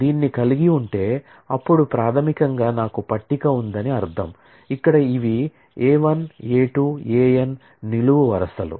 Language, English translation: Telugu, So, if I have this, then it basically means that I have a table, where these are the columns A 1 A 2 A n like this